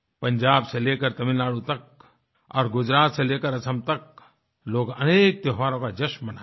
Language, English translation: Hindi, From Punjab to Tamil Nadu…from Gujarat to Assam…people will celebrate various festivals